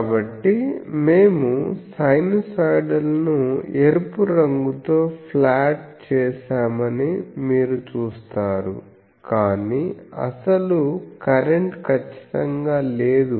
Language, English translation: Telugu, So, you see that we have plotted the sinusoidal one by the red color, but actual current is not exactly